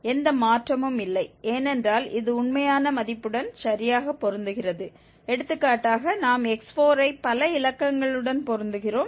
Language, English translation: Tamil, There is no change because this is exactly matching with the actual value also and for example if we go x4 we are matching to many, many digits